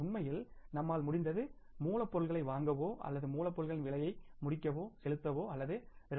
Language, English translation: Tamil, Actually we had been able to, we have been able to say buy the raw material or complete the raw material cost only pay or by paying only 2